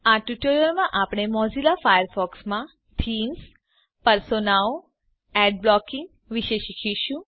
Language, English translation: Gujarati, In this tutorial, we will learn about: Themes, Personas, Ad blocking in Mozilla Firefox